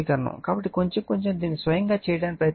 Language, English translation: Telugu, So, little bitlittle bit you try to do it yourself right